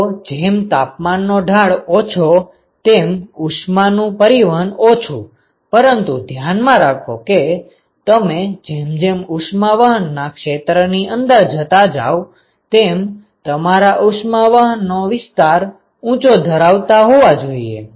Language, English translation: Gujarati, Lesser the temperature gradient lesser the heat transfer, but keep in mind that you are also as you go through inside the area of heat transport is also you are having higher area for heat transport right